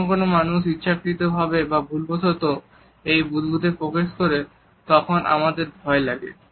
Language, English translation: Bengali, We feel threatened when somebody intentionally or accidentally encroaches upon this bubble